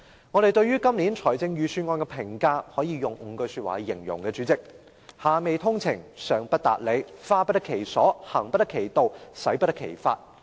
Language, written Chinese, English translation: Cantonese, 我們對今年預算案的評價，代理主席，可以用5句說話來形容："下未通情，上不達理，花不得其所，行不得其道，使不得其法"。, Our comments on the Budget this year Deputy Chairman may be described in five phrases Fail to understand the poor; fail to follow the principle fail to spend suitably; fail to act justly; fail to execute correctly . The Government fails to understand the plights of the public